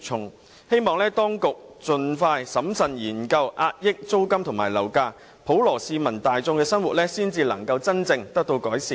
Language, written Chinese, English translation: Cantonese, 我希望當局盡快審慎研究遏抑租金和樓價，讓普羅大眾的生活真正得以改善。, I hope the authorities can expeditiously and carefully study ways to suppress rents and property prices so that the lives of the masses can be truly improved